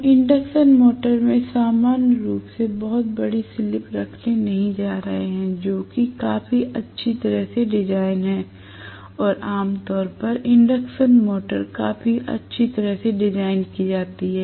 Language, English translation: Hindi, We are not going to have very large slip normally in an induction motor, which is fairly well design and generally, induction motors are fairly well design